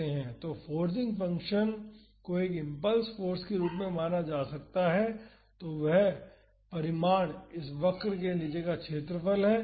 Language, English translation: Hindi, So, the forcing function can be treated as an impulse force of magnitude I and that magnitude is the area under this curve